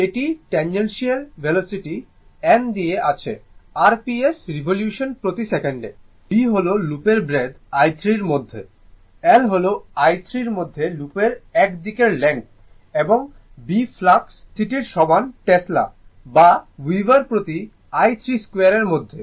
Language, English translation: Bengali, This is your tangential velocity right, n is given speed in r p s revolution per second, b is the breadth of the loop in metre I told you, l is the length of the one side of the loop in metre and B is equal to flux density in Tesla or Weber per metre square right